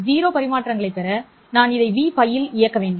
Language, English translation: Tamil, To get zero transmission, I have to operate this at v pi